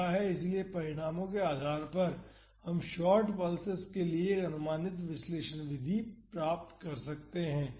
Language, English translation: Hindi, So, based on the results we can find an approximate analysis method for short pulses